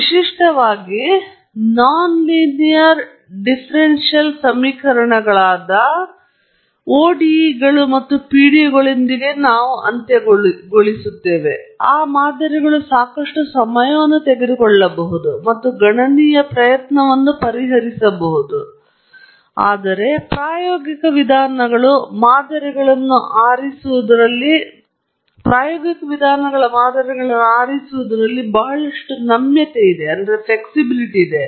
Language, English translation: Kannada, Typically, we end up with non linear differential equations ODEs and PDEs and so on, and those models may take a lot of time and computational effort to solve; whereas, the empirical approaches offer a lot of flexibility in choosing the models